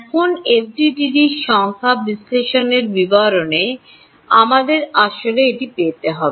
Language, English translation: Bengali, Now, we have to actually get it in to the details of the numerical analysis of FDTD